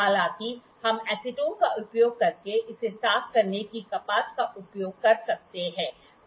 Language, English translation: Hindi, So, it has asked to be cleaned from here; however, we can use the cotton to clean it using acetone